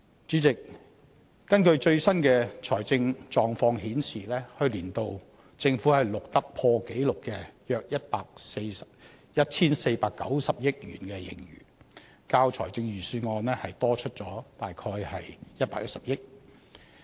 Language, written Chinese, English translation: Cantonese, 主席，最新的財政狀況顯示，去年度政府錄得破紀錄的約 1,490 億元盈餘，較預算案多出約110億元。, Chairman as indicated in the latest financial position the Government has a record - high surplus of around 149 billion last year exceeding the amount given in the Budget by some 11 billion